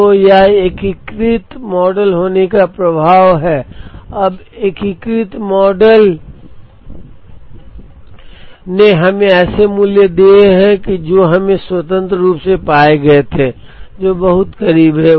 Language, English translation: Hindi, So, this is the effect of having the integrated model, now integrated model has given us values which are very close to what we had independently found out